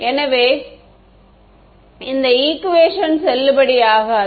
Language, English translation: Tamil, So, this equation is not valid